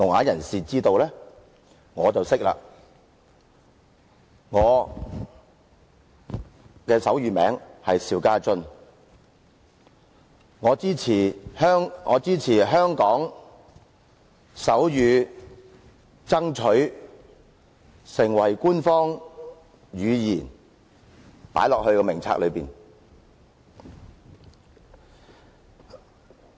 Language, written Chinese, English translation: Cantonese, 我是說，我的手語名字是邵家臻。我支持香港手語爭取成為官方語言，以加入名冊中。, What I am saying is that my name is SHIU Ka - chun in sign language and I support making sign language an official language and its inclusion in the list